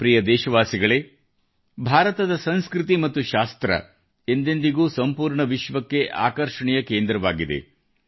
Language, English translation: Kannada, India's culture and Shaastras, knowledge has always been a centre of attraction for the entire world